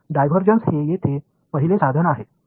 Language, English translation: Marathi, So, divergence is the first tool over here